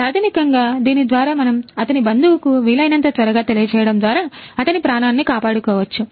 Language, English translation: Telugu, So, basically through this we can actually save his life by informing his relative as soon as possible